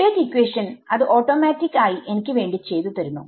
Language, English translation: Malayalam, Yeah, the update equation is automatically doing it for me right